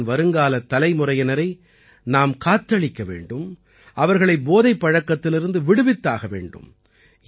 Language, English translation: Tamil, If we want to save the future generations of the country, we have to keep them away from drugs